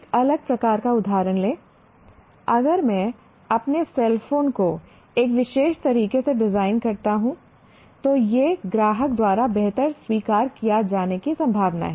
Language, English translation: Hindi, That means, if I take a different type of example, if I design my cell phone in a particular way having these features, it is likely to be accepted by the customer better